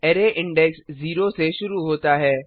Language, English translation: Hindi, Array index starts from 0